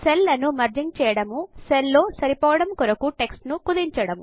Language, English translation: Telugu, Merging Cells.Shrinking text to fit the cell